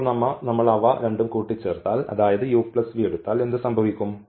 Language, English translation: Malayalam, And now if we add them so, u plus v if we add them so, what will happen when we add them